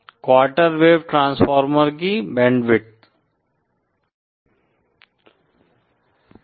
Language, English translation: Hindi, Band width of the quarter wave transformer